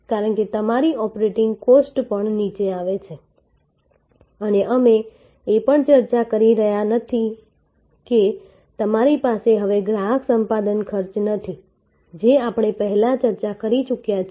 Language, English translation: Gujarati, Because, your operating cost also come down and we are not also discussing that you no longer have a customer acquisition cost that is already given that we have discussed before